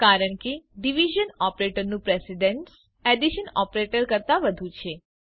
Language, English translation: Gujarati, This is because the division operator has more precedence than the addition operator